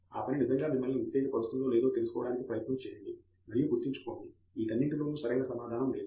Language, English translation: Telugu, To figure out whether the work really excites you, and remember in all of these there is no correct answer